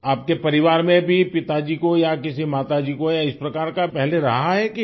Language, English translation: Hindi, In your family, earlier did your father or mother have such a thing